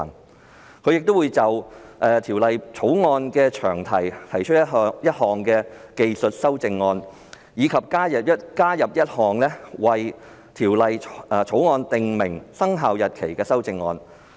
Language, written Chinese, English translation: Cantonese, 此外，他亦會就《條例草案》的詳題提出一項技術修正案，以及加入一項為《條例草案》訂明生效日期的修正案。, He will also propose a technical amendment to the long title and an amendment to the effect of specifying the commencement date of the Bill